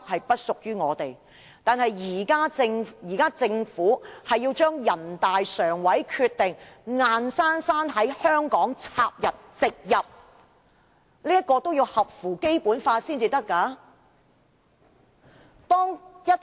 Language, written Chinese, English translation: Cantonese, 不過，現在政府要將人大常委會的決定硬生生地插入植入香港的法例內，但也得合乎《基本法》才可以。, Nonetheless if the Government wants to coercively implant a decision of NPCSC into the laws of Hong Kong it has to do so in accordance with the Basic Law